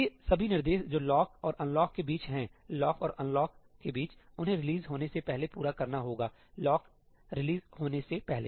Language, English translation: Hindi, All these instructions which are between the lock and unlock, they must complete before the release happens, before the lock is released